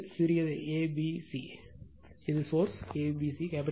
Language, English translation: Tamil, This is small a, b, c, this is capital A, B, C